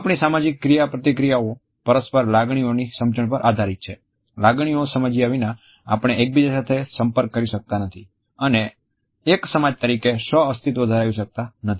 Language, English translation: Gujarati, Our social interactions are dependent on the mutual understanding of emotions, without understanding the emotions we cannot interact with each other and coexist as a society